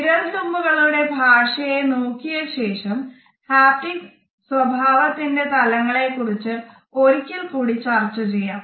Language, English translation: Malayalam, When we will look at the language of the fingertips then these aspects of our haptic behavior would be discussed once again